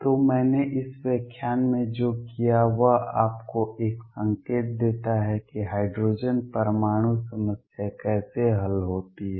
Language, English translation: Hindi, So, what I have done in this lecture is given to you an indication has to how hydrogen atom problem is solved